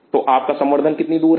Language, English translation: Hindi, So, how far is your culture